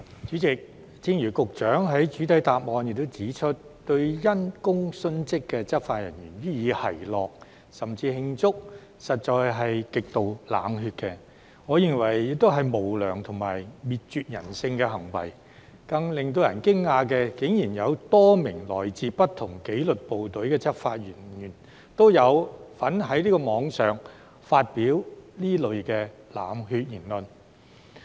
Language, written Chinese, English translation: Cantonese, 主席，正如局長在主體答覆中指出，對因公殉職的執法人員予以奚落甚至慶祝，實在是極度冷血，我認為這亦是無良和滅絕人性的行為，而更令人驚訝的是，竟然有多名來自不同紀律部隊的執法人員都有在網絡上發表這類冷血言論。, President mocking or even celebrating the death of the law enforcement officer in the line of duty is not only extremely cold - blooded as the Secretary has pointed out in the main reply but in my view also immoral and inhuman . More surprisingly a number of law enforcement officers from different disciplined services have also made such cold - blooded remarks on the Internet